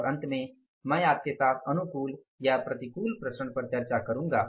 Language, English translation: Hindi, And lastly I would discuss with you is that favorable or unfavorable variances